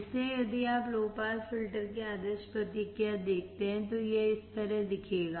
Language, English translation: Hindi, So, if you see ideal response of the low pass filter, it will look like this